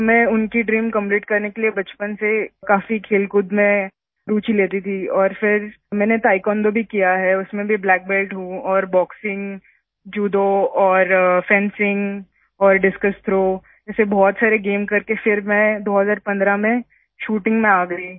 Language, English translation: Hindi, So to fulfil her dream, I used to take a lot of interest in sports since childhood and then I have also done Taekwondo, in that too, I am a black belt, and after doing many games like Boxing, Judo, fencing and discus throw, I came to shooting